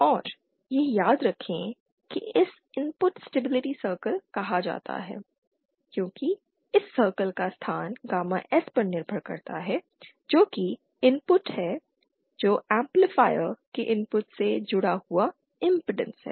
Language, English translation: Hindi, And recall this is called input stability circle because the locus of this circle dependent on gamma S, which is the input of the which is the impedance connected to the input of the amplifier